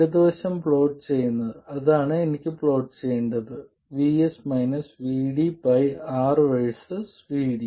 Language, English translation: Malayalam, And plotting the left side, that is what I want to plot is VS minus VD by R versus VD